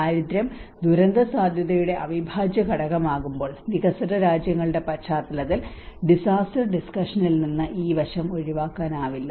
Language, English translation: Malayalam, When poverty becomes an integral part of the disaster risk and the vulnerability component, and in the context of developing countries this aspect cannot be secluded from the disaster discussion